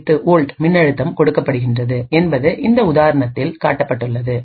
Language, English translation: Tamil, 08 volts in this particular example